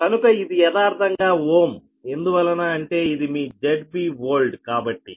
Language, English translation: Telugu, so this is actually ohm right because this is your z base old